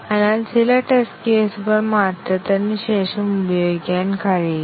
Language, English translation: Malayalam, So, some of the test cases cannot be used anymore, after the change